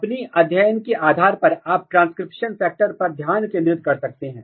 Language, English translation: Hindi, Depending on your studies, you can focus on transcription factor